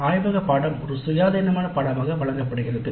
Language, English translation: Tamil, The laboratory course is offered as an independent course